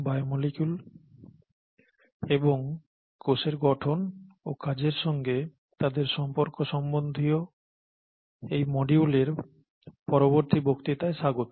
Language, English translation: Bengali, Welcome to the next lecture in this module which is on biomolecules and their relationship to cell structure and function